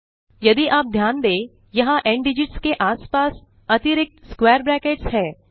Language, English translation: Hindi, If you notice, there are extra square brackets around ndigits